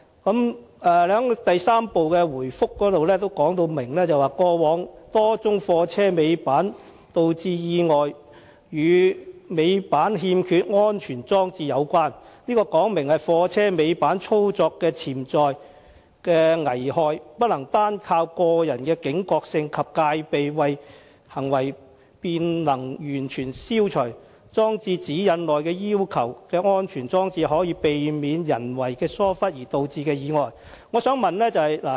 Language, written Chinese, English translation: Cantonese, 局長在第三部分的答覆中清楚指出，過往多宗貨車尾板導致的意外均與尾板欠缺安全裝置有關，這說明貨車尾板操作的潛在危害不能單靠個人的警覺性及戒備行為便能完全消除，裝設《指引》內要求的安全裝置，可避免人為疏忽而導致的意外。, In part 3 of the reply the Secretary specifically points out that the several accidents involving tail lift operation are attributed to the absence of safety devices underlining the fact that potential hazards of tail lift operation cannot be completely eliminated by relying solely on personal alertness and vigilance and that installing the safety devices required in GN can prevent tail lift accidents caused by human negligence